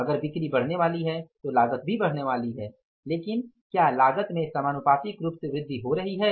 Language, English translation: Hindi, If the sales are going to increase, cost is also going to increase but is the cost in proportionately